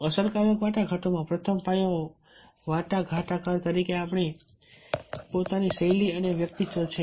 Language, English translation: Gujarati, the first foundation of effective negotiation is our own style and personality as a negotiator